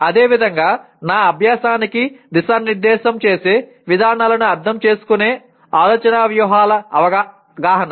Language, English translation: Telugu, Similarly, awareness of thinking strategies that is understanding approaches to directing my learning